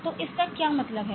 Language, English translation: Hindi, So what it means